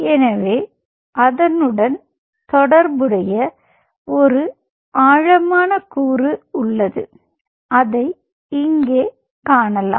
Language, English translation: Tamil, ok, so there is a depth component associated with it and that could be seen here